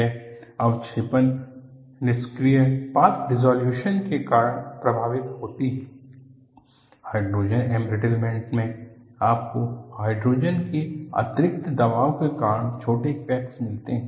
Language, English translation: Hindi, It is getting affected due to precipitation, in active path dissolution; in hydrogen embrittlement, you find tiny cracks that form due to internal pressure of hydrogen